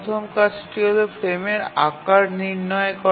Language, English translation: Bengali, I gives the size of the frame